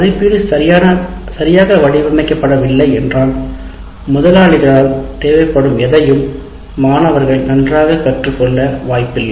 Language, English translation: Tamil, If your assessment is not designed right, the students are unlikely to learn anything well or properly as required by potential employers